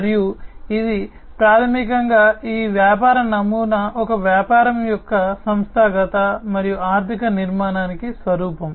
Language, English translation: Telugu, And it is basically this business model is an embodiment of the organizational and the financial architecture of a business